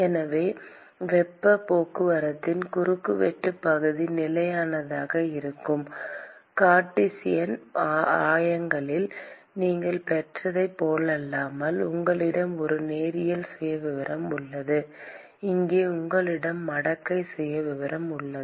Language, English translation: Tamil, So, unlike what you got in Cartesian coordinates where the cross sectional area of heat transport was constant you had a linear profile, here you have a logarithmic profile